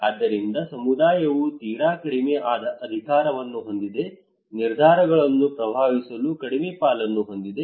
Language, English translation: Kannada, So community has a very less power, very less stake to influence the decisions